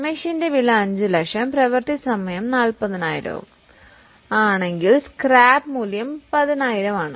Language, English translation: Malayalam, If the cost of machine is 5 lakhs and estimated working hours are 40,000, scrap value is 10,000